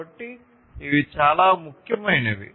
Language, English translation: Telugu, So, these are very important